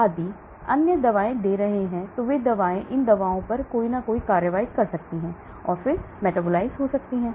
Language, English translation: Hindi, if you are giving other drugs those drugs may be acting on these drugs and then getting metabolized